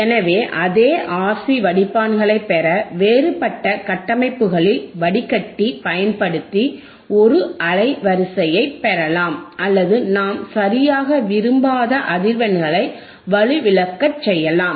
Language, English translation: Tamil, So, same RC filters can be used in some different configurations to get us a band stop filter or attenuate the frequency that we do not desire all right